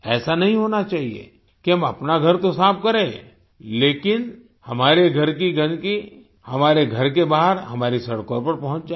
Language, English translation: Hindi, It should not be that we clean our house, but the dirt of our house reaches outside, on our roads